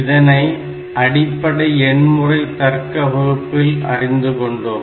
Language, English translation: Tamil, So, these we know from our digital logic classes